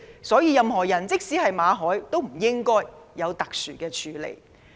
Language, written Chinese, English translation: Cantonese, 所以，任何人，即使是馬凱，都不應該有特殊的處理。, For this reason no people not even Victor MALLET should be accorded special treatment